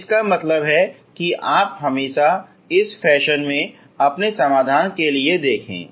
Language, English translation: Hindi, So this is how you should look for your solutions